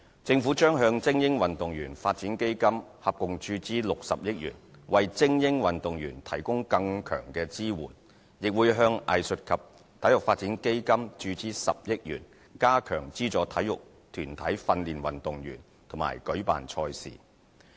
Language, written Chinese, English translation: Cantonese, 政府將向精英運動員發展基金合共注資60億元，為精英運動員提供更強支援，亦會向藝術及體育發展基金注資10億元，加強資助體育團體訓練運動員和舉辦賽事。, The Government will inject a total of 6 billion into the Elite Athletes Development Fund so as to provide greater support for elite athletes . Another 1 billion will be injected into the sports portion of the Arts and Sport Development Fund to support sports organizations in the training of athletes and hosting competitions